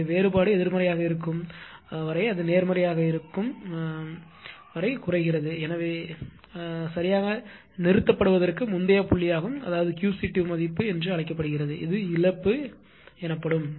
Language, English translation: Tamil, So, as no as long as the difference is negative it is decreasing as long as it is positive just previous point to stop right and that is called Q c 2 value and this is the loss right